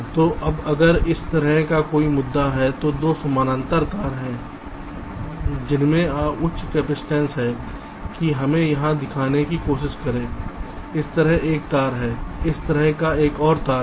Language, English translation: Hindi, ok, so now if i, if there is any issue like this, there are two parallel wires which has high capacitance, like say, lets try to show here there is a wire like this, there is another wire like this